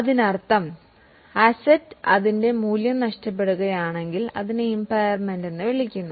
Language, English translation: Malayalam, That means if asset loses its value, it is called as impairment